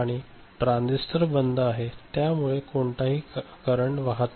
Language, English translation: Marathi, And this transistor is OFF so, no current is flowing